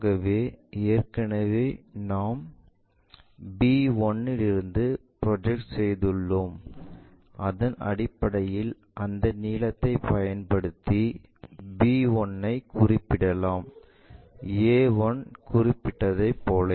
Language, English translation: Tamil, So, already we have projected from b 1, on that we use that length to identify b 1 similarly a 1